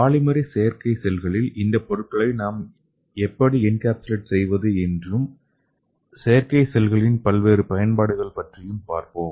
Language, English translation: Tamil, So let us see these, how we can encapsulate these materials into this polymeric artificial cells and also what are the various applications of these artificial cells